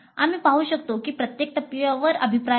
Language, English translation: Marathi, As we can see there are feedbacks at every stage